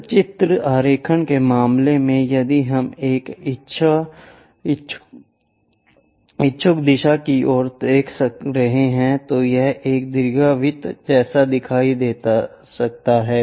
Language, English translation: Hindi, In the case of pictorial drawing, a circle if we are looking at an inclined direction it might look like an ellipse